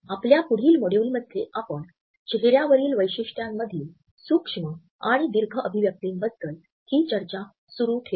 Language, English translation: Marathi, In our next module we would continue this discussion by looking at micro and macro expressions on our facial features